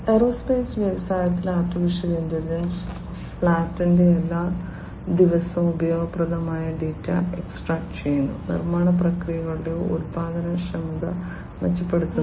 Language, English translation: Malayalam, AI in the aerospace industry extracting useful data from every day of flight, improving productivity of manufacturing processes